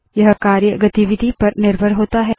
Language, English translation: Hindi, This role depends on the activity